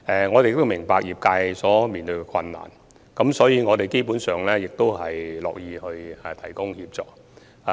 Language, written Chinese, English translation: Cantonese, 我們明白業界所面對的困難，所以我們基本上樂意提供協助。, We understand the difficulties facing these sectors and we in general are happy to provide assistance